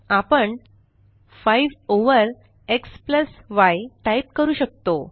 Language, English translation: Marathi, We can type 5 over x + y